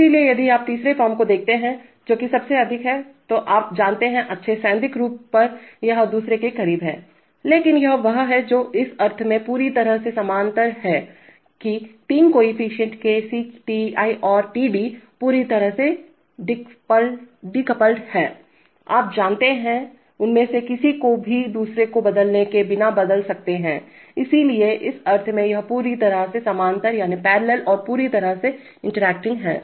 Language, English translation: Hindi, So if you look at the third form, that is the most, you know, what on good theoretical form it is close to the second but it is what is completely parallel in the sense that the 3 coefficient Kc, Ti and Td, are totally decoupled, you can change anyone of them without changing the other, so in that sense it is completely parallel and completely interacting and to stress the fact